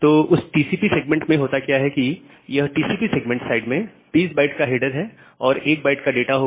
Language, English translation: Hindi, So, in that TCP segment what will happen, that the TCP segment side will contain 20 byte of the header and only 1 byte of data